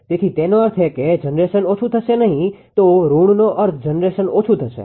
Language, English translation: Gujarati, So; that means, generation will decrease otherwise the negative means the generation will decrease